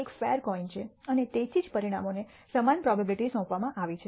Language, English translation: Gujarati, This is a fair coin and that is why the outcomes are given equal probability